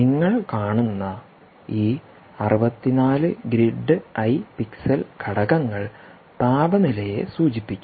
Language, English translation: Malayalam, these sixty four grid eye pixel elements that you see are essentially indicating the temperature